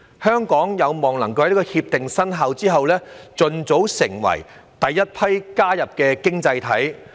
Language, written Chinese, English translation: Cantonese, 香港有望在《協定》生效後，盡早成為第一批加入《協定》的經濟體。, Hong Kong is expected to be among the first batch of economies joining RCEP after it takes effect